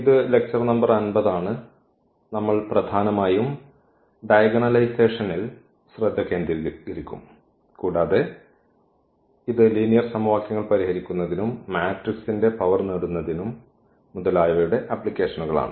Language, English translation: Malayalam, This is lecture number 50 and we will mainly focus on iagonalization and also it is applications for solving system of linear equations, also for getting the power of the matrices etcetera